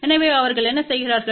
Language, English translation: Tamil, So, what they do